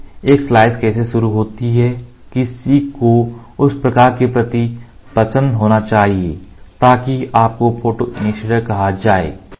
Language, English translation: Hindi, So, how does a slice initiate, somebody should have a liking towards that light so that fellow are called as photoinitiators